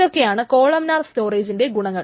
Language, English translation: Malayalam, So these are the advantages of columnar storage